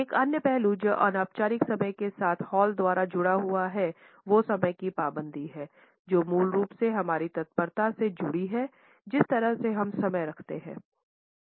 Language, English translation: Hindi, Another aspect which is associated by Hall with informal time is punctuality; which is basically our promptness associated with the way we keep time